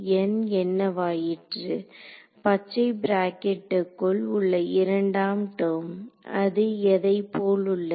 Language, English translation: Tamil, What about N the second term in the green bracket what does it look like